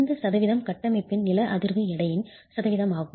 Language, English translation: Tamil, This percentage is as a percentage of the seismic weight of the structure